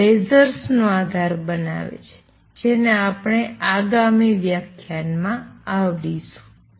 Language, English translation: Gujarati, This forms the basis of lasers which we will cover in the next lecture